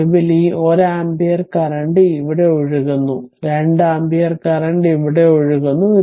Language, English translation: Malayalam, And finally, this 1 ampere current here is flowing and 2 ampere current is flowing here